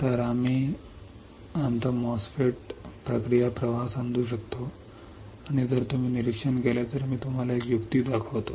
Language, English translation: Marathi, So, that we can understand our MOSFET process flow and if you observe I will show you a trick